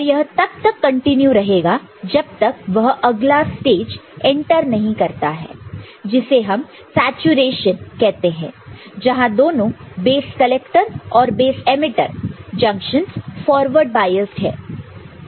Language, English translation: Hindi, And, this will continue till it enters the next stage what is known as saturation – right, what is known as saturation, when both base collector and base emitter junctions are forward biased ok